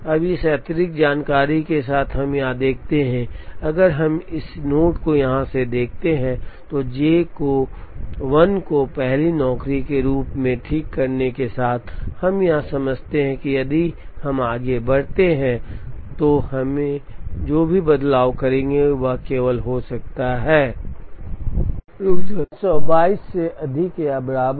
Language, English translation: Hindi, Now, with this additional information, we now observe that, if we look at this node from here, with fixing J 1 as the first job, we understand from here, that if we proceed down, the makespan that we will get can only be greater than or equal to 322